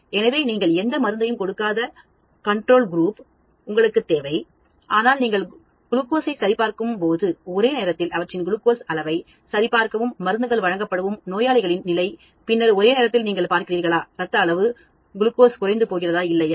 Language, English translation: Tamil, So, you need a control group where you do not give any drug, but you check their glucose level at the same time simultaneously when you are checking the glucose level of patients to whom drugs are given, and then, simultaneously you see whether their blood level glucose is going down or not